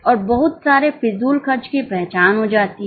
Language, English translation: Hindi, And lot of wasteful expenditure gets identified